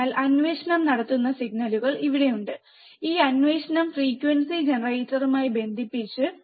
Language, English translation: Malayalam, So, the the signals are here which is holding the probe, this probe is connected with the frequency generator